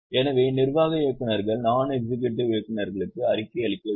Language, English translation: Tamil, So, executive directors are supposed to report to non executive directors